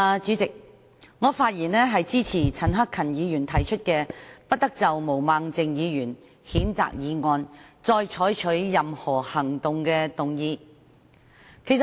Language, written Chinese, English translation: Cantonese, 主席，我發言支持陳克勤議員提出，"不得就譴責議案再採取任何行動"的議案。, President I speak in support of the motion moved by Mr CHAN Hak - kan that no further action be taken on the censure motion